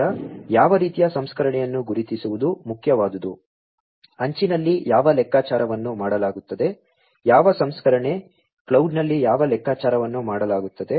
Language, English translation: Kannada, Now, what is important is to identify which type of processing, what computation will be done at the edge, which processing, what computation will be done at the cloud